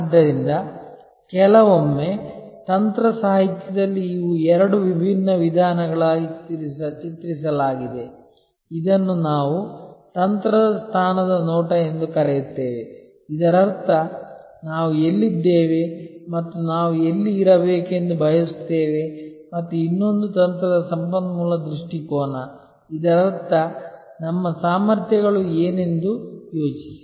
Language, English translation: Kannada, So, sometimes in strategy literature these are portrayed as two different approaches, one which we call a position view of strategy; that means, where we are and where we want to be and another is resource view of strategy; that means, think in terms of what our capabilities are